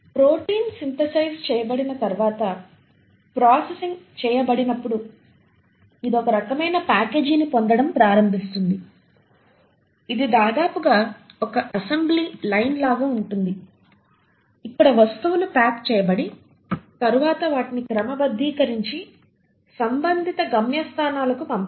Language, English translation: Telugu, Once the protein has been synthesised, processed, it kind of starts getting packaged, it is almost like an assembly line where things kind of get packaged and then they need to be sorted and sent to the respective destinations